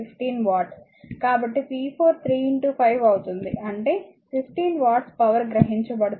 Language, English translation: Telugu, So, p 4 will be 3 into 5 that is 15 watt power absorbed